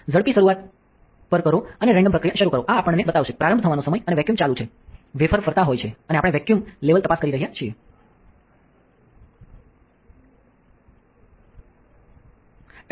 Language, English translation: Gujarati, Go to quick start and start a random process, this will show us that the vacuum is on and the time starting, the wafer is rotating and we are just checking that the vacuum level is ok